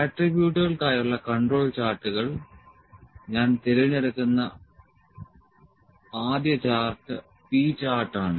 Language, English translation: Malayalam, So, Control Charts for Attributes, first chart I will pick is the P chart